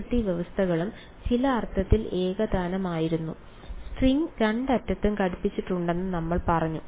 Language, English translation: Malayalam, The boundary conditions were also homogeneous in some sense we said the string is clamped at both ends